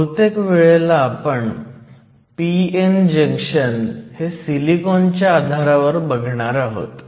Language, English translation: Marathi, So, this is the p n junction, as far as silicon is concerned